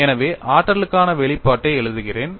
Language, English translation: Tamil, So, now, we have the expression for energy